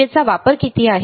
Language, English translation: Marathi, What is the power consumption